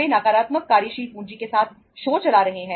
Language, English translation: Hindi, They are running the show with a negative working capital